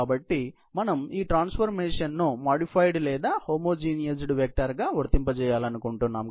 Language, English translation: Telugu, So, we would like to apply this transformation to the modified or homogenized vector